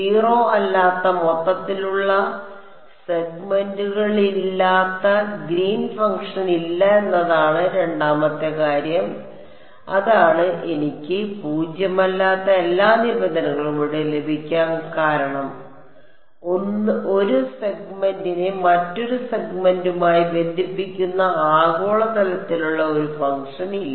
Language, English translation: Malayalam, The second thing there is no Green’s function which is non zero overall segments that was it that was the reason why I got all non zero terms here there is no global kind of a function that is connecting 1 segment to another segment